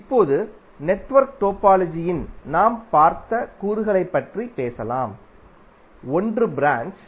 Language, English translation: Tamil, Now let us talk about the elements which we just saw in the network topology, one is branch